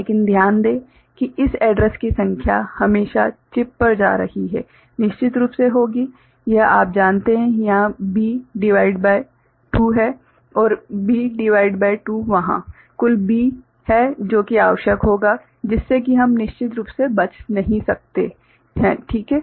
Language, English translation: Hindi, But, note that the number of this address will always be the going to the chip, will be of course, this you know B by 2 here and B by 2 there total B that is what will be required, that we cannot avoid of course, ok